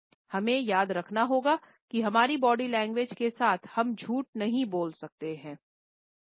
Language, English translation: Hindi, We have to remember that with our body language we cannot lie